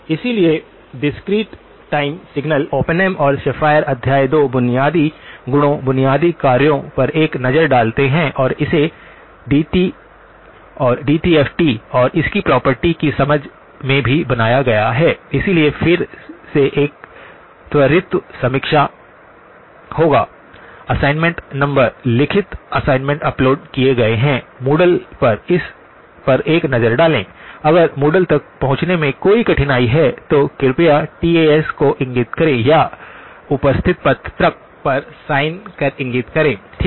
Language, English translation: Hindi, So discrete time signals do take a look at Oppenheim and Schafer chapter 2, basic properties, basic operations and also built into it the understanding of the DTFT and its property, so again that would be a quick review, assignment number; written assignments have been uploaded, do take a look at Moodle, if there is a difficulty in accessing Moodle, please do indicate to the TAs or indicated on the sign on the attendance sheet, okay